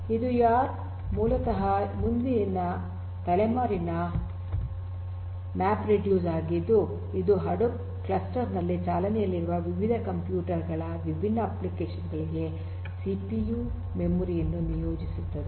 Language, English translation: Kannada, So, YARN is basically the next generation MapReduce which assigns CPU, memory, storage to different applications running on the Hadoop cluster of different computers